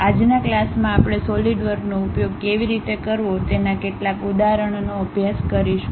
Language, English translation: Gujarati, In today's class we will practice couple of examples how to use Solidworks